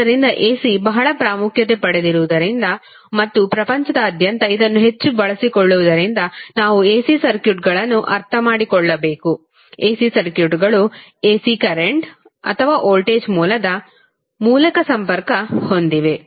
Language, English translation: Kannada, So, since AC is very prominent and it is highly utilized across the globe, we need to understand the AC and the AC circuits which are connected through AC current or voltage source